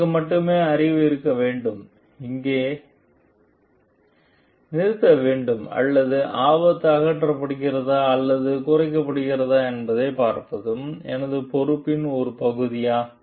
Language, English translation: Tamil, Like is it is it only I should I am having the knowledge and I should go stop over there or is it a part of my responsibility also to see like the hazard gets eliminated or reduced